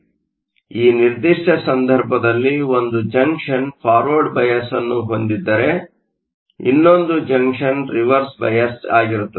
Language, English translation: Kannada, So, in this particular case, if one of the junctions is forward biased the other junction will be reverse biased and so on